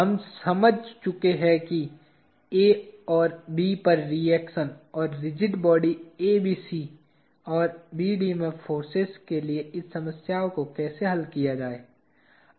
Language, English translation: Hindi, We have understood how to solve this problem for reactions at A and B and the forces in the rigid bodies ABC and BD